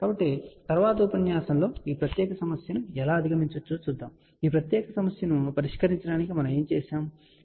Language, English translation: Telugu, So, in the next lecture we will see how this particular problem can be overcome and what we did to solve this particular problem, ok